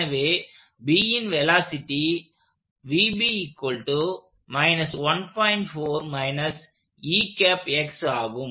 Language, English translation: Tamil, So that is the acceleration of B